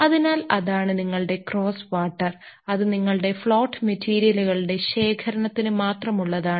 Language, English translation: Malayalam, So, that is your cross water and that is only for collection of your float materials